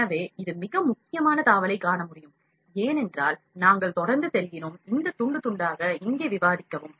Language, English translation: Tamil, So, this is I can see the most important tab, because we are go on discuss this slicing here